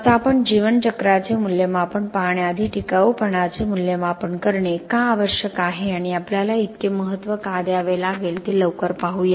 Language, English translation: Marathi, Now before we go on to looking at life cycle assessment let’s look quickly at why it is necessary to assess sustainability and why do we have to give so much importance